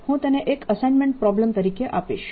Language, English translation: Gujarati, i'll give that as an assignment problem